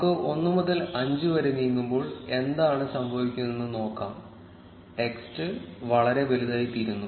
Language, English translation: Malayalam, Let us change from 1 to 5 and see what happens, the text becomes too big